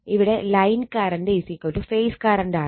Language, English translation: Malayalam, So, line voltage is equal to phase voltage